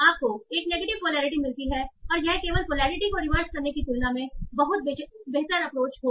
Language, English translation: Hindi, And that would be a much better approach than simply reversing the polarity